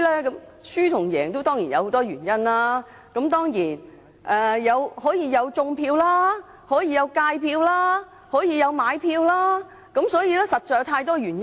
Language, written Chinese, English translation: Cantonese, 落敗和勝出當然有很多原因，可以是種票、"𠝹 票"、買票，實在有太多原因。, There are many reasons for losing and winning an election and they could be vote rigging vote slashing and vote buying―there are simply too many reasons